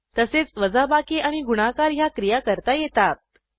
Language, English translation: Marathi, Similarly the subtraction and multiplication operations can be performed